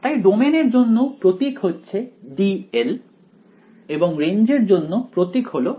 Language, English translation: Bengali, So, the domain the symbol for that is D L and the range symbol is R of L right